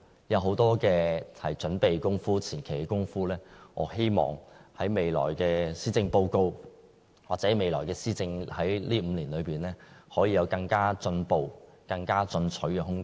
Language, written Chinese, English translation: Cantonese, 有很多準備工夫、前期工夫，我希望在未來的施政報告，或未來5年的施政當中，可以有更進步、更進取的空間。, I hope that in the future Policy Address or during this five years of governance the Government could make improvement and be more proactive in its conservation preparation work